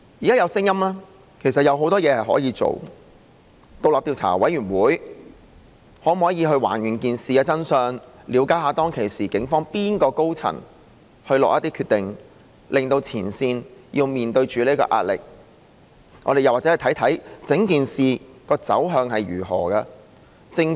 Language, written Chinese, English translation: Cantonese, 現時其實有很多事情可以做，包括成立獨立調查委員會，以還原事件的真相，了解當時警方哪位高層下決定，令前線要面對這壓力？或許也可看看整件事的走向是怎樣的？, Right now indeed there are many things that can be done including setting up an independent commission of inquiry to uncover the truth of the incident so as to identify who from the top management of the Police had made the decision that put the front line under such pressure and possibly examine the direction and development of the entire incident as well